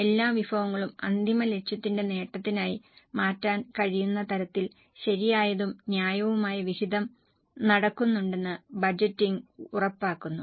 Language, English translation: Malayalam, Budgeting ensures that a proper and a fair allocation happens so that all resources can be channelized for the achievement of final goal